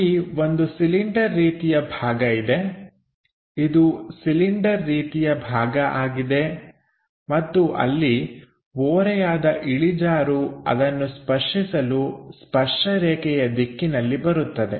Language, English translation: Kannada, So, there is something like a cylindrical kind of portion this is the cylindrical kind of portion and there is inclined slope comes touch that in a tangent direction